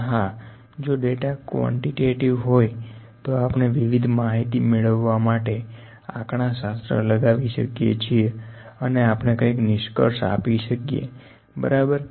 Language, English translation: Gujarati, But yes if the data is quantitative we can apply statistics to get different kind of information and we can also conclude something, ok